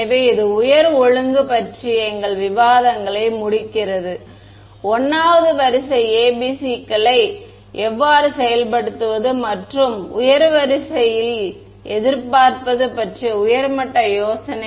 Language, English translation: Tamil, So, that concludes our discussions of higher order I mean how to implement 1st order ABCs and just high level idea of what to expect in a higher order